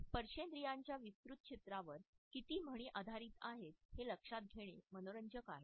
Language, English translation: Marathi, It is interesting to note how so many idioms are based on the wider area of haptics